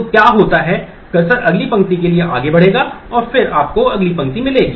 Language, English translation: Hindi, So, what happens is the cursor will advance to the next row and get you the next row